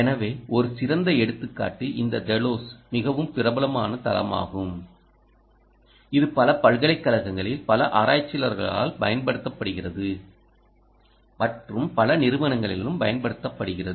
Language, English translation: Tamil, so a classic example: this telos is a very popular ah platform which is used by many researchers in many universities and also in several companies